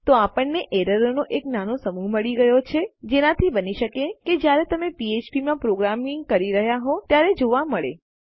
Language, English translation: Gujarati, So we have got a small collection of errors that you might come across when you are programming in php